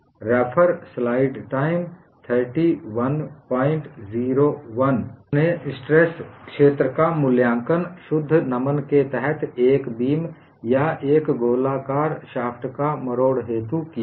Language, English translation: Hindi, You have evaluated stress field in a beam under pure bending or torsion of a circular shaft